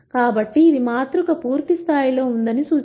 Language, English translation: Telugu, So, this implies that the matrix is full rank